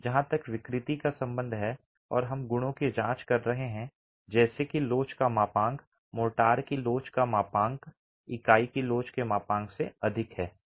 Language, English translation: Hindi, As far as deformability is concerned and we are examining a property such as the modulus of elasticity, the modulus of elasticity of motor is higher than the modulus of elasticity of unit